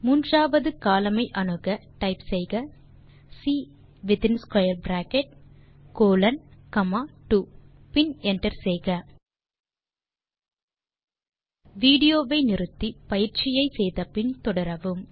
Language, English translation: Tamil, We access the third column by saying,type C within square bracket colon comma 2 and hit enter Pause the video here,try out the following exercise